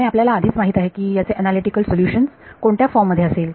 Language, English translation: Marathi, And we already know that this has analytical solutions of which form